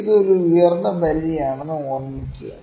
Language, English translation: Malayalam, Please remember this is an upper bound, ok